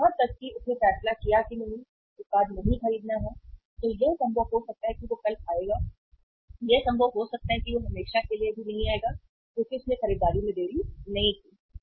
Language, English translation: Hindi, Even he decided do not, not to buy the product then it may be possible he will come tomorrow, it may be possible he will not come even even uh forever because he has not delayed the purchase